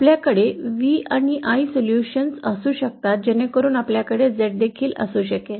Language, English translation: Marathi, We can have V and I solutions so then we can also have Z